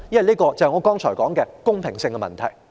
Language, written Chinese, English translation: Cantonese, 這關乎我剛才所說的公平性問題。, This question is about fairness as I have just said